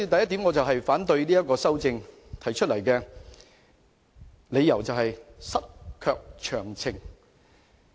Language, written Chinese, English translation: Cantonese, 因此，我反對這項修正案，我所持的理由是"失卻詳情"。, Therefore I object to this amendment . My reason is details missing